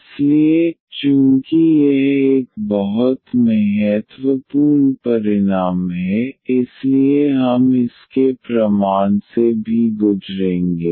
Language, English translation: Hindi, So, since this is a very important result we will also go through the proof of it